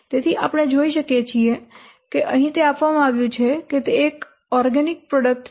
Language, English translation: Gujarati, So, you can see that here it is given that it is organic product